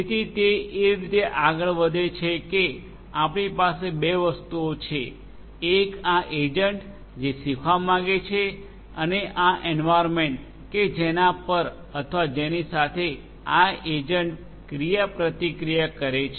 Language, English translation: Gujarati, So, the way it you know it proceeds is like this that we are going to have we are going to have two different entities this agent which wants to learn and this environment on which or with which this agent interacts